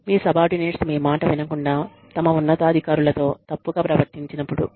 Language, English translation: Telugu, When your subordinates, do not listen to you, when they misbehave, with their superiors